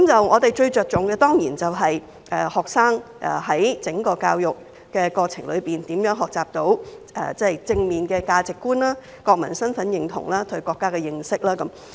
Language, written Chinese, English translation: Cantonese, 我們最着重的，當然是學生在整個教育過程中，如何學習到正面的價值觀、國民身份認同、對國家的認識。, What we attach most importance to is certainly how students learn positive values foster a sense of national identity and understand our country throughout the education process